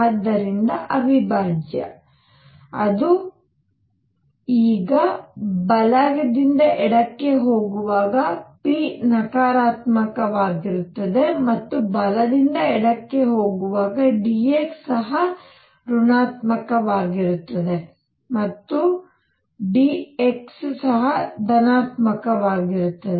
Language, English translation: Kannada, So, that will be the integral now while going from right to left p is negative and d x is also negative while going from right to left p is positive and dx is also positive